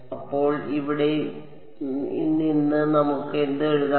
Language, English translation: Malayalam, So, from here what can we write